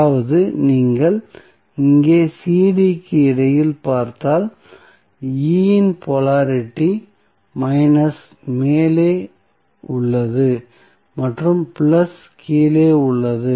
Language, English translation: Tamil, So, that is why if you see here, it between CD the polarity of E is of minus is on the top and plus is on the bottom